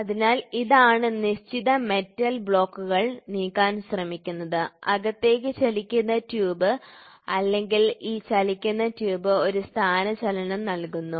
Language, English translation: Malayalam, So, this is the fixed metal blocks tries to move and the inside the moving tube or this moving tube gives a displacement